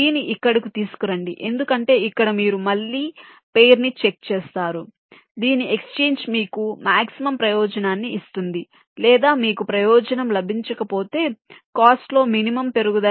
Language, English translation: Telugu, bring g here, b, because here you again check the pair whose exchange will either give you the maximum benefit or, if you cant get a benefit, the minimum increase in cost